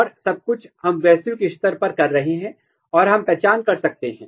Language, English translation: Hindi, And this everything, we are doing at the global level and we can identify